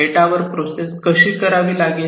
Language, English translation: Marathi, This data will have to be processed